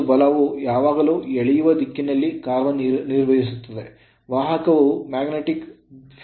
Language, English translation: Kannada, And the force always act in a direction to drag the conductor you are along with the magnetic field